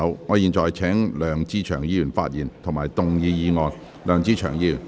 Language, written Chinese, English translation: Cantonese, 我現在請梁志祥議員發言及動議議案。, I now call upon Mr LEUNG Che - cheung to speak and move the motion